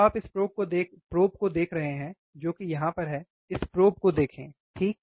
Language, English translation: Hindi, So, you see this probe that is holding here, look at this probe, right